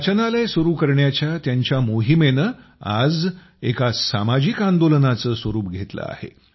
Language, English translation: Marathi, His mission to open a library is taking the form of a social movement today